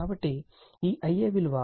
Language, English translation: Telugu, So, this I a value 2